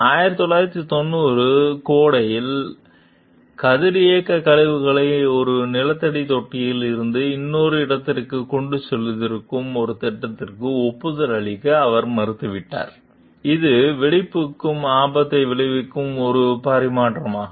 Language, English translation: Tamil, In the summer of 1990, she refused to approve a plan that would have pumped radioactive waste from one underground tank to another, a transfer that risked explosion